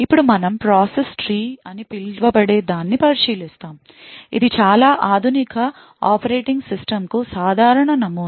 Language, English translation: Telugu, Now we will also look at something known as the process tree, which is again a very common model for most modern day operating system